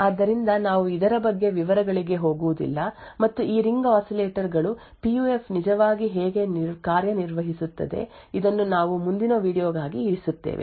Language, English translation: Kannada, So, we will not go into details about this and how this Ring Oscillators PUF actually works, this we will actually keep for the next video